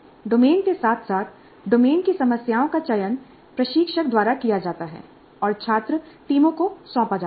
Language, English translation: Hindi, The domain as well as the problem in the domain are selected by the instructor and assigned to student teams